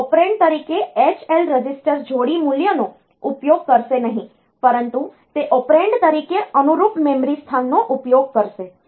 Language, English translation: Gujarati, It will not use H L register pair value as the operand, but it will be using the corresponding memory location as the operand